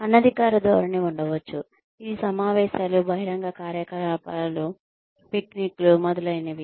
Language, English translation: Telugu, There could be informal orientation, which could be through get togethers, outdoor activities, picnics, etcetera